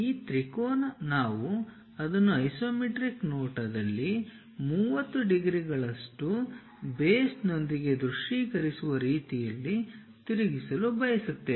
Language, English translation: Kannada, This triangle we would like to rotate it in such a way that isometric view we can visualize it with base 30 degrees